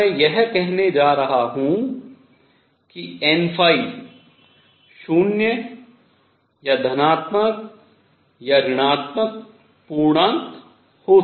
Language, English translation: Hindi, So, I will going to say n phi could be 0 or positive or negative integers